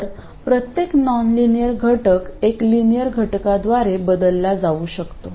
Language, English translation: Marathi, So, the nonlinear element can be itself replaced by a linear element